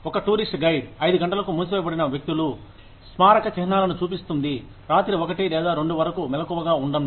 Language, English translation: Telugu, A tourist guide, showing people, monuments, that shut down at 5 o'clock, may be, able to stay awake, till one or two in the night